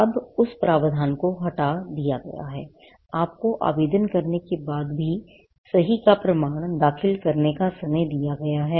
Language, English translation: Hindi, Now that provision has been removed, you have been given time to file a proof of right, even after you make the applications